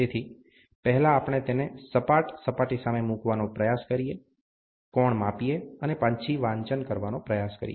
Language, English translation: Gujarati, So, first we try to put it as against the flat surface, measure the angle and then try to take the reading